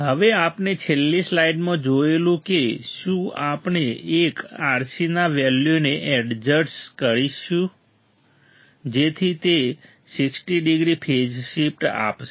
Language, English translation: Gujarati, Now, one RC we have seen in last slide will we will we will adjust the value such that it provides 60 degree phase shift